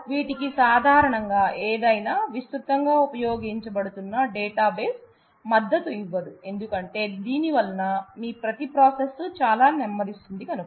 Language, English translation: Telugu, So, it is not usually supported by any of the databases, which are widely used because that slows down your every process very, very much